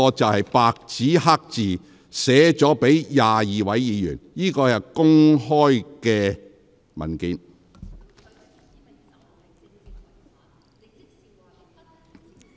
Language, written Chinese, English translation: Cantonese, 這是白紙黑字寫給22位議員的回信，亦是公開的文件。, This is a reply letter written in black and white to 22 Members and it is a public document